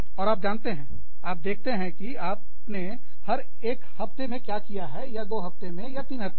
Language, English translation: Hindi, And, you know, you see, what you have done every week, or every two weeks, or every three weeks